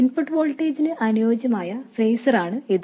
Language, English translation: Malayalam, This is the phaser corresponding to the input voltage